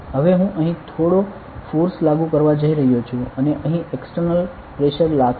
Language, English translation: Gujarati, Now I am going to apply some force here and external pressure will be acting over here ok